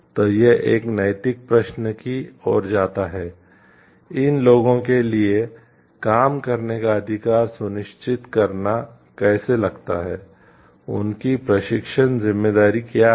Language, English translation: Hindi, So, this leads to an ethical question, so how to like ensure the right to work for these people, what is the responsibility to train them